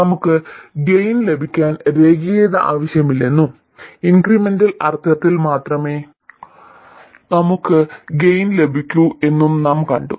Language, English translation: Malayalam, We have seen that we need non linearity to get gain and we will get gain only in the incremental sense